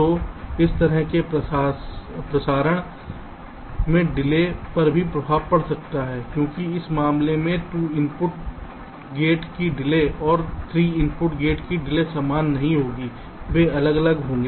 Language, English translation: Hindi, so this kind of a transmission may also have an impact on the delay, because in this case the delay of a two input gate and a delay of three input gate will not be the same, they will be different